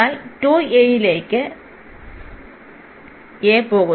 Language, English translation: Malayalam, So, 2 a into a